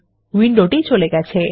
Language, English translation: Bengali, The window disappears